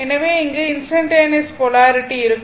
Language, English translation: Tamil, So, in this case, instantaneous polarity will be there